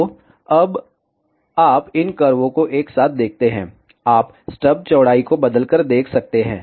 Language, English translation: Hindi, So, now you see these curves simultaneously, you can see here by changing the stub width